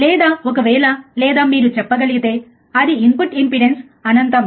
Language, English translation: Telugu, or in case of or you can say it is it is input impedance is infinitely high